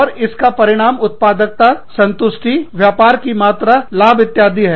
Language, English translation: Hindi, And, the output is productivity, satisfaction, turnover, profits, etcetera